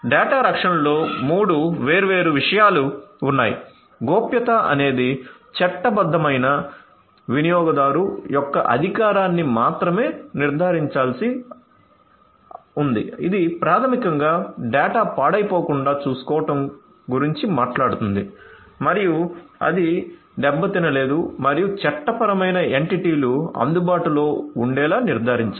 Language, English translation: Telugu, Data protection includes three different things confidentiality which has to ensure authorization of only the legitimate user’s integrity which basically talks about ensuring that the data is uncorrupted and it has not been tampered with and availability which has to ensure that the legal entities are available